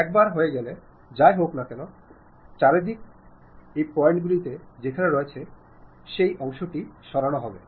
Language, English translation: Bengali, Once you are done, whatever those intersecting points are there, that part will be removed